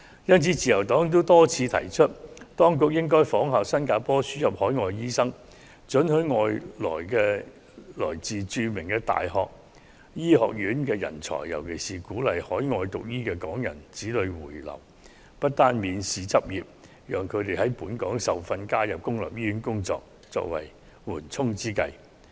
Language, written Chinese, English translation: Cantonese, 因此，自由黨多次提出，當局應該仿效新加坡輸入海外醫生，准許來自國外著名大學醫學院的人才來港執業，尤其是鼓勵在海外進修醫科的港人子女回流，不單容許他們免試執業，並讓他們在本港受訓，加入公立醫院工作，作為緩衝之計。, Against this background the Liberal Party has repeatedly suggested that we should follow the example of Singapore by admitting overseas doctors and allow medical talents from renowned overseas medical schools to come and practice in Hong Kong . In particular as a stop - gap measure we should encourage children of Hong Kong parents who have graduated from medical schools overseas to return to Hong Kong by allowing them to practice without having to take any examination moreover they should be allowed to work in public hospitals after receiving training in Hong Kong